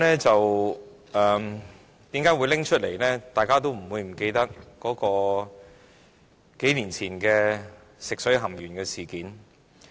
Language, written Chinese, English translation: Cantonese, 主席，大家都不會忘記數年前發生的食水含鉛事件。, President we would not forget the lead - in - water incidents which happened years ago